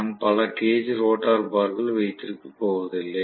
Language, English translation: Tamil, I am not going to have so many cage rotor bars